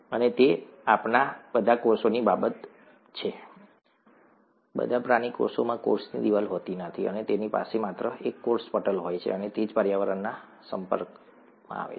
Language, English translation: Gujarati, And that is the case with all our cells, all animal cells do not have a cell wall, they just have a cell membrane and that is what is exposed to the environment